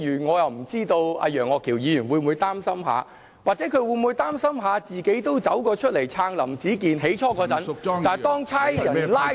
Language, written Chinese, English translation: Cantonese, 我不知道楊岳橋議員會否擔心，或是他會否擔心自己最初都走出來撐林子健，但當警察拘捕他後，他再不出來撐......, I am not sure whether he will feel worried . Or will he feel worried that he has spoken out to support Howard LAM in the first place? . However after Howard LAM was arrested by the Police he no longer showed his support